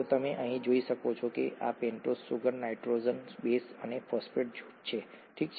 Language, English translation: Gujarati, So you can see here this is the pentose sugar, the nitrogenous base and the phosphate group, okay